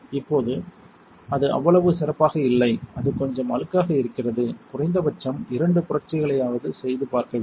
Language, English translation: Tamil, Right now it is not so great it is little dirty you want to see it do two revolutions at least right